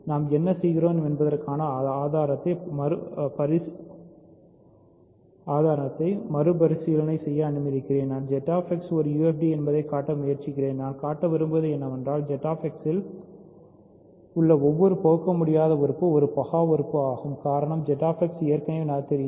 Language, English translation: Tamil, So, just let me review the proof what am I doing I am trying to show that ZX is a UFD; what we want to show is that every irreducible element in Z X is a prime element because Z X already is noetherian